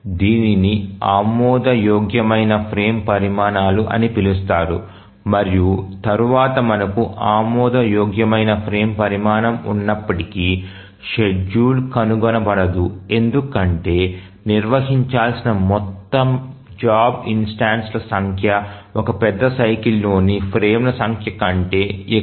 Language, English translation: Telugu, So, this we call as plausible frame sizes and then even if we have a plausible frame size, it is not the case that schedule may be found, maybe because we have the total number of job instances to be handled is more than the number of frames in a major cycle